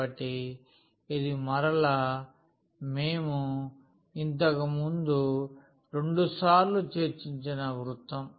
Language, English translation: Telugu, So, this is again the circle which we have discussed a couple of times before